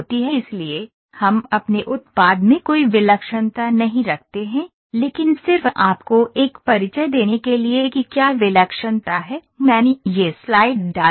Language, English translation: Hindi, So, we are not having any singularity in our product, but just to give you an introduction what is singularity I have put this slide